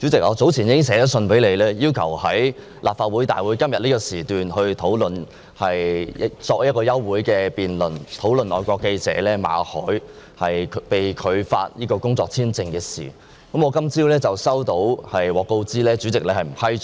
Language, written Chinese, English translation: Cantonese, 主席，我早前已致函給你，要求在今天的立法會會議上提出一項休會待續議案，就外國記者馬凱的工作簽證續期申請被拒一事進行辯論。, President in a letter addressed to you sometime ago I requested to move in the Council meeting today an adjournment motion on the rejected application for work visa renewal by Victor MALLET a foreign journalist